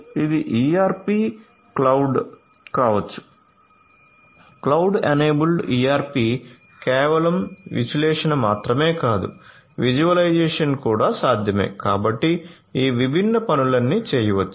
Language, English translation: Telugu, So, this could be ERP cloud, cloud enabled ERP not only just analysis, but also visualization is also possible so, all of these different things can be done